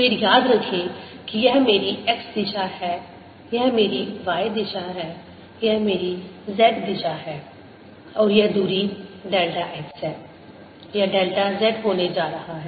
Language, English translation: Hindi, again, remember, this is my x direction, this is my y direction, this is my z direction and this distance is delta x